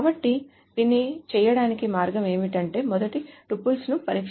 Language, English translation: Telugu, So what is the way to do it is that let us test the first tuple